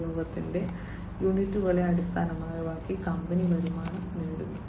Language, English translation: Malayalam, So, so basically you know based on the units of usage, the company earns the revenue